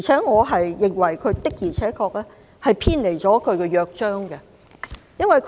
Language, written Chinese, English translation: Cantonese, 我認為港台的做法的確偏離了《香港電台約章》。, I think RTHK has indeed deviated from the Charter of Radio Television Hong Kong